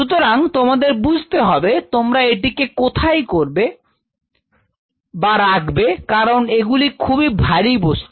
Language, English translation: Bengali, So, you have to understand where you want to keep them because these are heaviest stuff